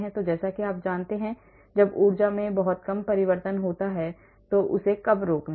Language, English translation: Hindi, how do you know when to stop when there is a very small change in energy